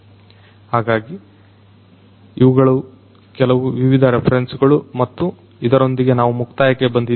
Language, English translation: Kannada, So, these are some of these different references and with this we come to an end